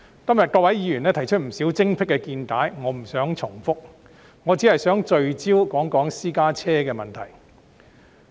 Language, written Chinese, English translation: Cantonese, 各位議員今天提出不少精闢見解，我不想重複，我只想聚焦說一說私家車的問題。, Honourable colleagues have made quite many insightful comments today and I do not want to repeat here . I just want to focus my discussion on the problem with private cars